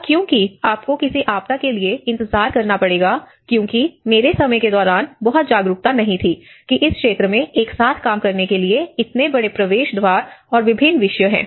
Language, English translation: Hindi, And because unless you may have to wait for a disaster because there is not much of awareness during my time whether this field has such a large gateways and different disciplines to work together